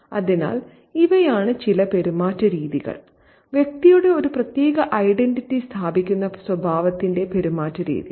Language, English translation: Malayalam, So, these are some of the mannerisms, the demeanor of the character that establishes a particular identity of the person